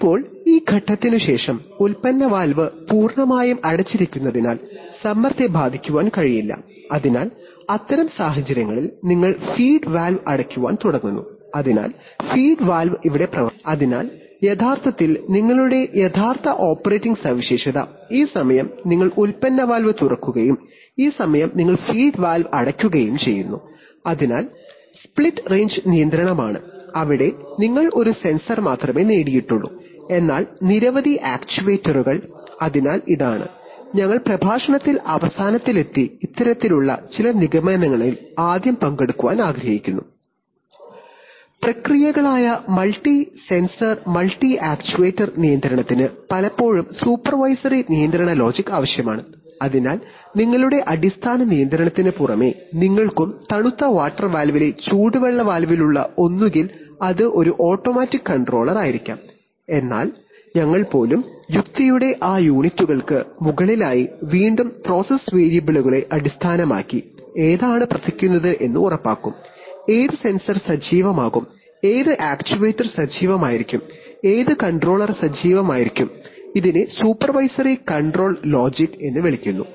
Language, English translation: Malayalam, Now if, at this, after this point the pressure cannot be affected by the product valve because the product valve is fully closed, so in that situation you start closing the feed valve, so the feed valve is operated here, so actually your true operating characteristic is, this time you open product valve and this time you close feed valve, so this is split range control, where you have won only one sensor but many actuators, so we, this is, we have come to the end of the lecture and just want to have some concluding remarks firstly on this kind of this, Multi sensor multi actuator control which is processes often need supervisory control logic, so you see that, you, apart from your basic control logic which is there in the either in the hot water valve on the cold water valve that will be an automatic controller but even we, we, above that units of logic, based on again process variables which will ensure which one will be working, which sensor will be active, which actuator will be active, which controller will be active, so this is called supervisory control logic